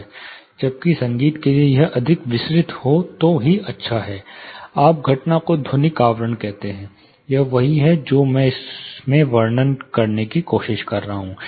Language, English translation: Hindi, Whereas, for music if it is more diffused, it is you know you call the phenomena called acoustic envelopment; that is exactly what I am trying to describe in this